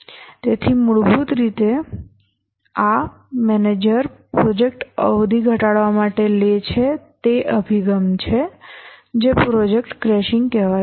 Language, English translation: Gujarati, So this is basically the approach the project manager takes to reduce the project duration or the project crashing